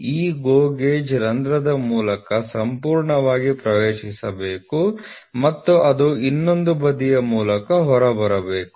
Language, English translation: Kannada, So, this GO gauge should enter fully through the hole and it should come out through the other side